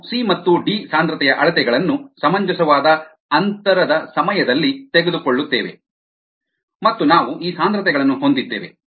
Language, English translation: Kannada, we take measurements of c and d concentrations at reasonable, close these space times and we have these concentrations